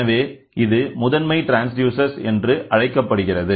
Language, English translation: Tamil, Hence, it is termed as primary transducer